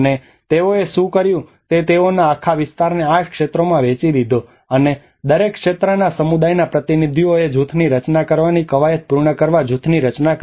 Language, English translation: Gujarati, And that what they did was they divided this whole territory residential territory into 8 sectors and the community representatives from each sector formed the group to accomplish the group mapping exercise